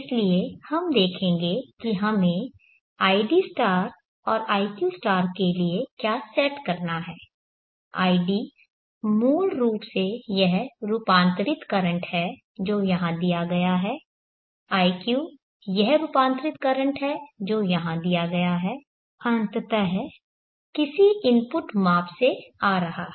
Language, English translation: Hindi, So we will see what we have to set for id* and iq* id is basically this transformed current which is given here iq is this transformed current which is given here, coming ultimately from any input measurement